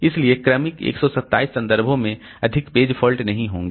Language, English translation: Hindi, So, in successive 127 references there will be no more page faults